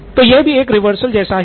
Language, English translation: Hindi, So this is the reversal as well